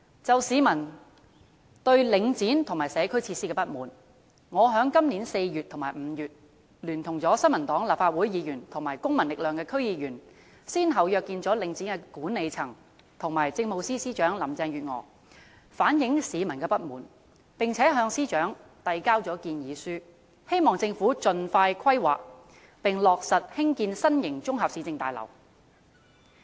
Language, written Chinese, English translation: Cantonese, 就市民對領展和社區設施的不滿，我在今年4月和5月，聯同新民黨的立法會議員和公民力量的區議員，先後約見了領展的管理層和政務司司長林鄭月娥，反映市民的不滿，並向司長遞交建議書，希望政府盡快規劃及落實興建新型綜合市政大樓。, In response to public discontent with Link REIT and community facilities in April and May this year I together with Legislative Council Members from the New Peoples Party and District Council DC members from the Civil Force met with the management of Link REIT and Chief Secretary for Administration Carrie LAM respectively and submitted proposals to the Chief Secretary hoping that the Government would expeditiously take forward the planning and construction of new municipal services complexes